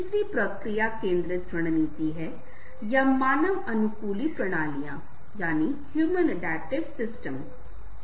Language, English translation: Hindi, third is process focused strategy, or mobilizing the power of human adaptational systems